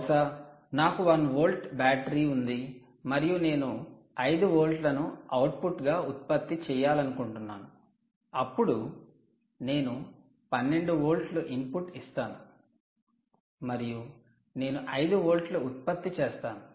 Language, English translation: Telugu, perhaps you have a one volt battery, you are interested in generating five volts and the output, and essentially you are going to give an input of twelve volts